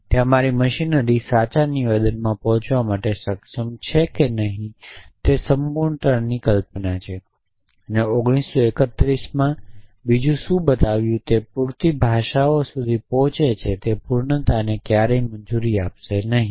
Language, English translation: Gujarati, There is my machinery able to reach the true statement or not is the notion of completeness and what good else showed in 1931 that reach enough languages will never allowed completeness in